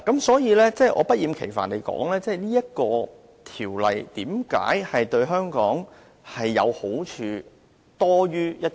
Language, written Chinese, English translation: Cantonese, 所以，我要不厭其煩的指出此條例為何對香港利多於弊。, Therefore I really have to repeat time and again why the Bill will bring us more merits than harm